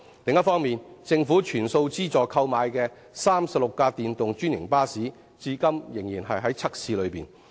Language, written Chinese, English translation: Cantonese, 另一方面，政府全數資助購買的36輛電動專營巴士，則至今仍在測試中。, Also the 36 electric franchised buses purchased with full government subsidy are still on trial runs